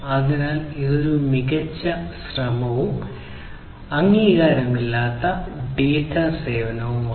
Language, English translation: Malayalam, So, this is kind of a best effort and unacknowledged data service